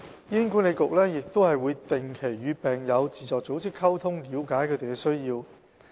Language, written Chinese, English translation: Cantonese, 醫管局亦會定期與病友自助組織溝通，了解他們的需要。, Besides HA communicates with patient self - help groups on a regular basis to understand their needs